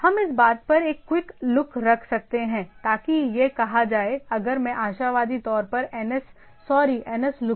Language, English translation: Hindi, We can have a quick look into the thing so that it will be say, cmd if I give hopefully the ns sorry nslookup